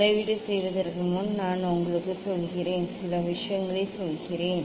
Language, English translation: Tamil, before doing measurement, let me tell you; let me tell you few things